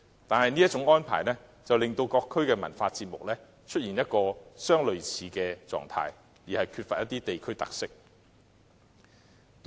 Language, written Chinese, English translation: Cantonese, 但是，這種安排卻令各區的文化節目相似，乏缺地區特色。, However such an arrangement has rendered cultural programmes in various districts similar and lacking local characteristics